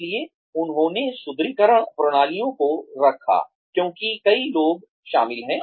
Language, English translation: Hindi, So, they put reinforcement systems in place, because many people are involved